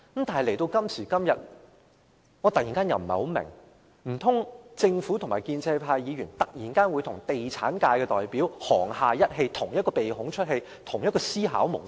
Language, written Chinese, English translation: Cantonese, 但是，時至今天，我突然有點疑惑，難道政府和建制派議員忽然與地產界代表沆瀣一氣，有同一個思考模式？, Suddenly I am a little perplexed today . Could it be possible that the Government and pro - establishment Members suddenly collude with representatives of the property sector and share the same mode of thinking?